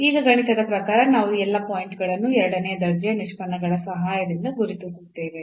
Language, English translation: Kannada, So, now mathematically we will identify all these points with the help of the second order derivatives